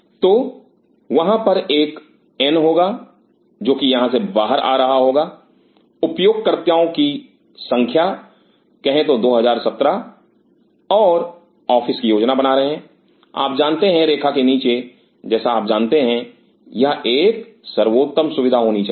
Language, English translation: Hindi, So, there will be an n which will be coming out of here, number of user number of users say 2017 and your planning it you know down the line, like you know this should be one of the best facilities